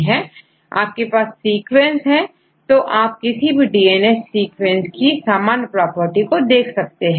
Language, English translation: Hindi, Now, if you have a sequence, how to calculate the average property of any DNA sequence